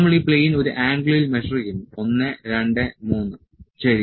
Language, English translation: Malayalam, So, we are measuring this plane at an angle 1, 2, 3, ok